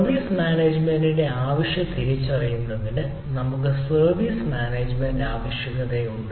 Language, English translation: Malayalam, then we have service management requirement: to need to identify the service management requirement